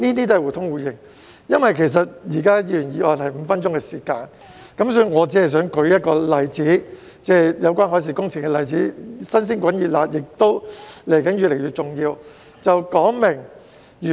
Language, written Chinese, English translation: Cantonese, 由於每位議員就議員議案的辯論只有5分鐘發言時間，所以我只想舉一個有關海事工程的例子，是"新鮮滾熱辣"的，也是未來越來越重要的。, Since each Member has only five minutes to speak in the debate on a Members motion I just want to cite a late - breaking example of marine works which is also indicative of an increasing future importance